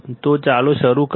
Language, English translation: Gujarati, So, let’s start